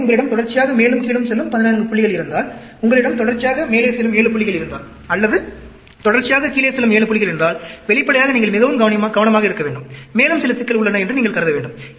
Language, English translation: Tamil, And also, if you have 14 points consecutively going up and down, if you are having 7 points consecutively going up, or 7 points consecutively going down, then obviously, you need to be very careful, and you need to assume that, there is some problem that is looming around